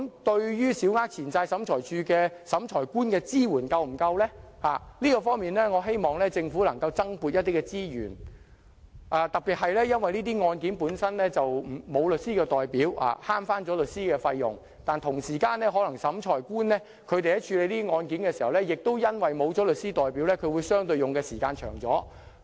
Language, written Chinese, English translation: Cantonese, 對於小額錢債審裁處審裁官的支援是否足夠，我希望政府能就這方面增撥資源。特別是這些案件中，申索人並無律師代表，以省掉律師費用，但審裁官在處理這些案件時，同時可能因為沒有律師代表，便會用相對較長的時間。, As to the adequacy of the support for Adjudicators of the Small Claims Tribunal I hope the Government can provide additional resources in this respect particularly as the claimants in these cases are not represented by lawyers in order to save costs the Adjudicator may have to take a longer time to handle these cases due to the lack of legal representation